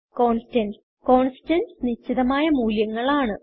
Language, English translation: Malayalam, Constants, Constants are fixed values